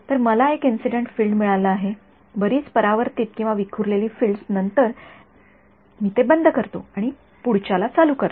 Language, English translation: Marathi, So, I have got one incident field so, many reflected or scattered fields then I switch it off and turn the next guy on